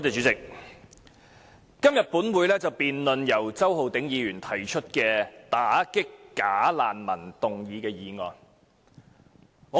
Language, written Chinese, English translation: Cantonese, 主席，本會今天辯論由周浩鼎議員提出的"打擊'假難民'"議案。, President today the Council is debating the motion Combating bogus refugees moved by Mr Holden CHOW